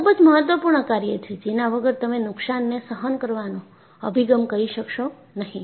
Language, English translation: Gujarati, So, this is very important, without which you will not be able to do a damage tolerance approach